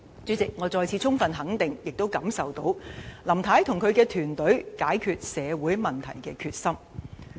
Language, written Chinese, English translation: Cantonese, 主席，我再次充分肯定、並能感受到林太及其團隊解決社會問題的決心。, President I once again fully affirm and can sense the determination of Mrs LAM and her team to solve social problems